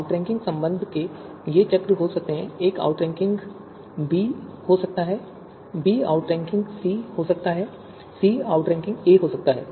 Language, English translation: Hindi, So these cycles of outranking relation right that could be there, you know a might be outranking b, b might be outranking c and c might be outranking a